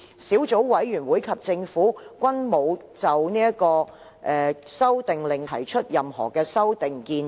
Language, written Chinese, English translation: Cantonese, 小組委員會及政府均沒有就《修訂令》提出任何修訂建議。, The Subcommittee and the Government have not proposed any amendment to the Amendment Order